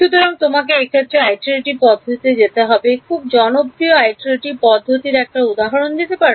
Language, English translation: Bengali, So, you have to switch to what are called iterative methods any example of the most popular iterative method